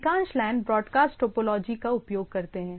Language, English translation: Hindi, Most LANs use broadcast topology